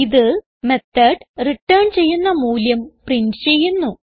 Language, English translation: Malayalam, This will print the return value of the method